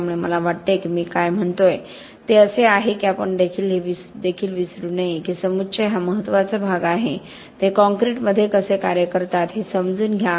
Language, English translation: Marathi, So I guess what I am saying is that we should also not forget that aggregates are important part, understand how they work in concrete itself